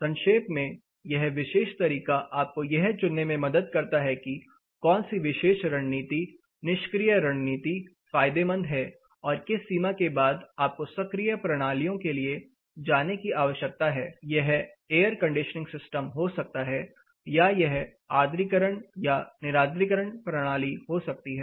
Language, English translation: Hindi, In short, this particular method helps you choose which particular strategy, passive strategy is beneficial and to what extent beyond which you need to go for active systems it can be air conditioning system or it can be humidification or dehumidification system